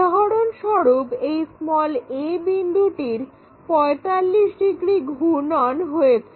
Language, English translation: Bengali, For example, this a point rotated by 45 degrees